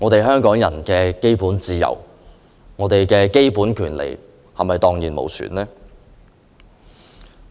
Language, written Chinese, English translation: Cantonese, 香港人的基本自由和權利是否蕩然無存？, Have the basic freedoms and rights of Hong Kong people been banished?